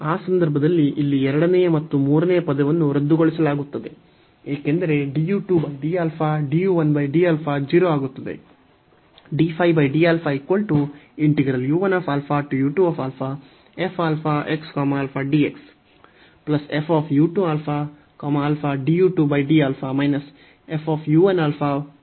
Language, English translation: Kannada, So, in that case the second and the third term here will be cancelled, because d u 2 over d alpha d 1 over d alpha will become 0